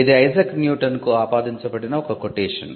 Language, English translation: Telugu, Now, this is a code that is attributed to Isaac Newton